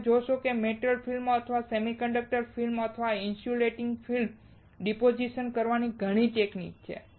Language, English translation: Gujarati, You will see there are several techniques to deposit a metal film or a semiconductor film or insulating film